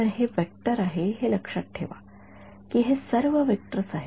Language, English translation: Marathi, So, this is a vector remember these are all vectors